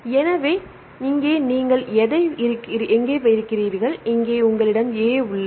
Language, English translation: Tamil, So, then where here you have a here you have A, here you have A